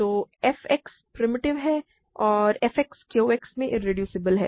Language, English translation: Hindi, So, f X is primitive and f X is irreducible in Q X right